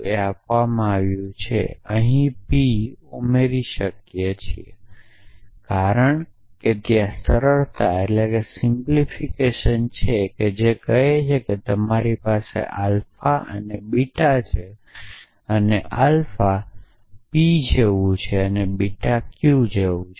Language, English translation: Gujarati, This is given to us we can add p here why because there is a role called simplification which says if you have alpha and beta and alpha matches p and beta matches q